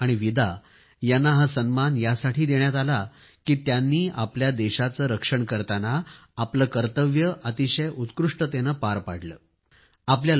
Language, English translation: Marathi, Sophie and Vida received this honour because they performed their duties diligently while protecting their country